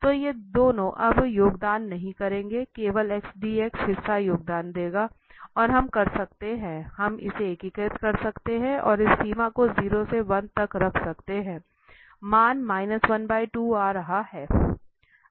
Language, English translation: Hindi, So, these two will not contribute now, only the x dx part will contribute and that we can make, we can integrate it and put this limit 0 to 1, the value is coming as minus half